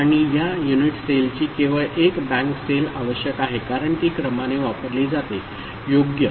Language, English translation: Marathi, And these are the unit cell one bank of it is only required because it is sequentially used right